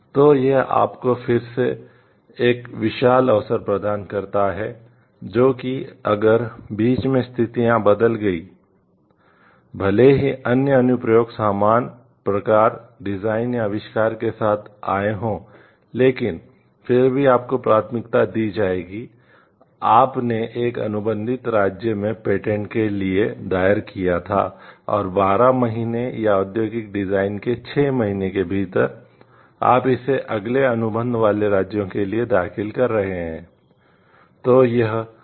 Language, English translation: Hindi, So, this gives you like the again immense opportunity, which talks of like even if situations have changed in between even if other like a other applications have come up with the same type, type of design or invention, but still your we will be given a priority, because you filed for the patent in one of the contracting state, and within 12 months or 6 months for industrial design, you are finding filing it for the next contracting states